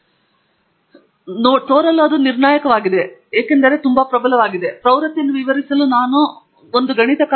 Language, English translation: Kannada, On the face of it, it appears deterministic, because itÕs so dominant, there is a mathematical function that I can fit to explain the trend